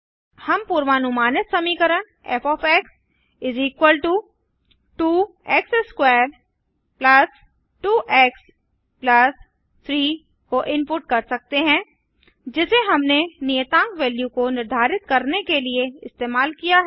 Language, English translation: Hindi, We can input the predicted function to f = 2 x^2 + 2 x + 3 is what i have used to set the constant value as